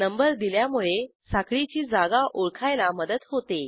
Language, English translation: Marathi, Numbering helps to identify the chain positions